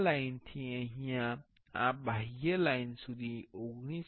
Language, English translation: Gujarati, From this line to this outer line can be 19